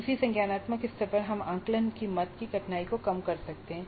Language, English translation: Hindi, At the same cognitive level we can tone down the difficulty of the assessment item